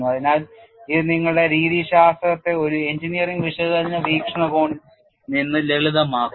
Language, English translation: Malayalam, So, that simplifies your methodology purely from an engineering analysis point of view